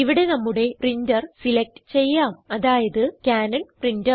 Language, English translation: Malayalam, Here, lets select our printer, i.e., Cannon Printer and click on Forward